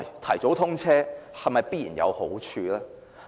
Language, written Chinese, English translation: Cantonese, 提早通車是否必然有好處？, Will early commissioning definitely bring benefits?